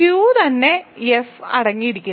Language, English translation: Malayalam, So, Q itself is contained in F